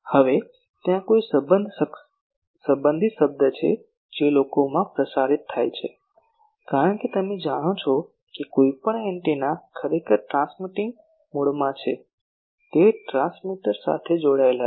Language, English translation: Gujarati, Now, a related term is there sometimes transmitted people, because you know any antenna actually in the transmitting mode it is connected with a transmitter